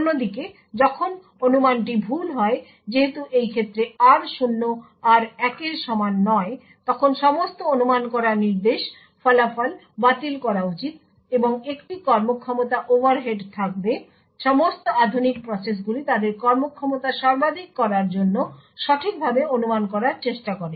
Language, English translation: Bengali, On the other hand when the speculation is wrong as in this case r0 not equal to r1 then all the speculated result should be discarded and there would be a performance overhead, all modern processes try to speculate correctly in order to maximize their performance